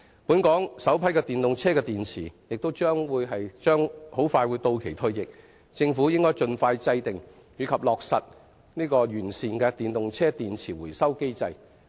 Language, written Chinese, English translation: Cantonese, 本港首批電動車電池即將到期退役，政府應盡快制訂及落實完善的電動車電池回收機制。, The batteries of the first batch of EVs in Hong Kong will be due for decommissioning very soon . The Government should expeditiously formulate and implement a satisfactory recycling mechanism for EV batteries